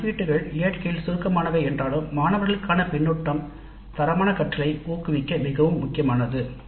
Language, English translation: Tamil, Though these assessments are summative in nature, the feedback to the students is extremely important to promote quality learning